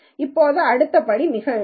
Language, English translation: Tamil, Now the next step is very simple